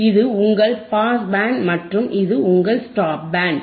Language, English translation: Tamil, tThis is your Pass Band and this is your Stop Band this is your Stop Band correct